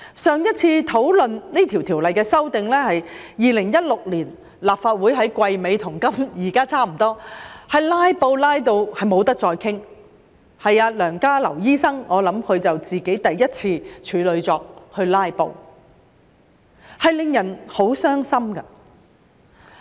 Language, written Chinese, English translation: Cantonese, 上次討論這項條例的修訂是在2016年，當時是立法會季尾，跟現在差不多，被"拉布"至不能再討論下去，我想是梁家騮醫生首次"拉布"的處女作，令人很傷心。, When the amendments to this Ordinance was last discussed in 2016 it was towards the end of a Legislative Council term just like now . The discussion was aborted due to filibustering . I think that was the first time Dr LEUNG Ka - lau initiated a filibuster